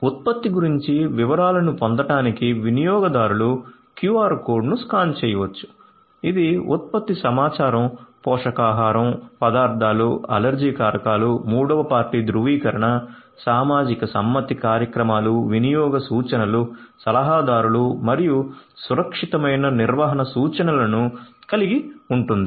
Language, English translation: Telugu, Consumers can scan the QR code to get details about the product; the product information includes nutrition, ingredients, allergens, third party certification, social compliance programs, usage instructions, advisories and also safe handling instruction